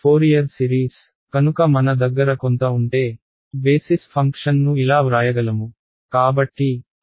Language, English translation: Telugu, Fourier series right, so if I have some I can write down my basis function as like this